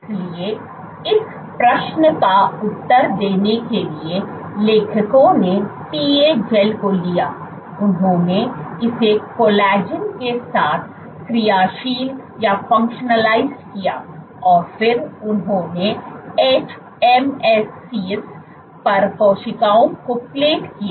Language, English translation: Hindi, So, to ask this to answer this question, what authors did was they took PA gels, they functionalized it with collagen and then they plated cells on top hMSCs were plated